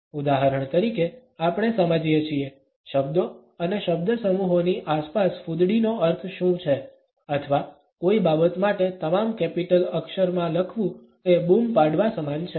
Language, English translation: Gujarati, For example, we understand, what is the meaning of asterisk around words and phrases or for that matter writing in all caps is equivalent to shouting